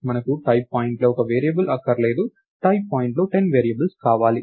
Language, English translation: Telugu, We don't want just one variable of the type point, we want 10 variables of the type point